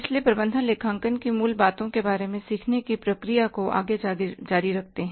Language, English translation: Hindi, So, uh, continuing further the process of learning about the basics of management accounting